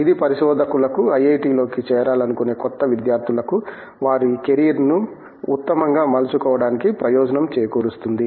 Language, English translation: Telugu, This will benefit researchers, new students who want to look into IIT and take make the best out of their carrier